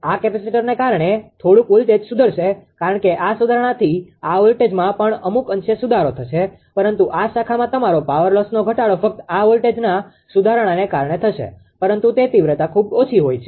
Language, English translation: Gujarati, Whatever little bit because of this capacitor this voltage this voltage will improved because of the improvement this voltage also to some extent will improved right, but your power loss at this branch, reduction will be just only due to this voltage improvement, but that magnitude will be very less